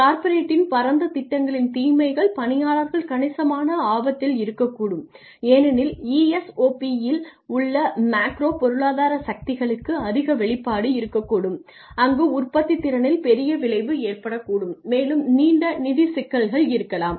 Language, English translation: Tamil, The disadvantages of corporate wide plans are employees may be at a considerable risk as in ESOPs there could be a high exposure to macroeconomic forces, there could be a large effect on productivity and there could be long rain long run financial difficulties